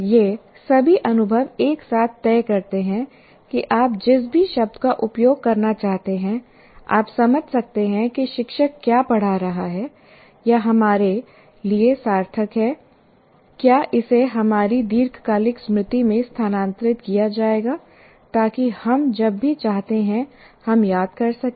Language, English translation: Hindi, And all these experiences together decide whether we are, whatever word that you want to use, whether you can make sense of what the teacher is teaching, or it is meaningful to us, whether it will be transferred to our long term memory so that we can recall whenever we want, we remember the process